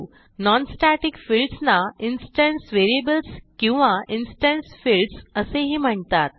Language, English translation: Marathi, Non static fields are also known as instance variables or instance fields